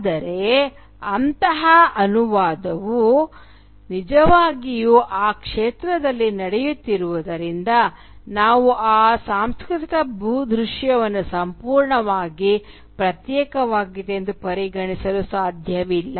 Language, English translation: Kannada, But since such a translation is actually taking place in that field we cannot really regard that cultural landscape as completely isolated and sealed